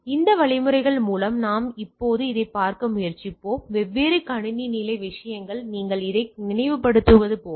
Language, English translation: Tamil, So, with these mechanisms we will try to look at now that different system level things like as if you just recollect this one